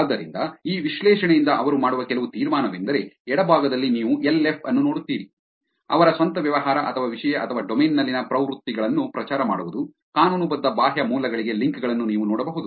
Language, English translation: Kannada, So, the one some conclusion that they do from this analysis is that on the left you see LF, you can see that promoting their own business or content or trends in a domain, links to legitimate external sources